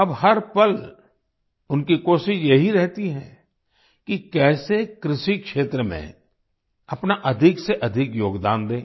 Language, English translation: Hindi, Now every moment, he strives to ensure how to contribute maximum in the agriculture sector